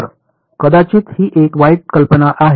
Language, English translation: Marathi, So, maybe that is a bad idea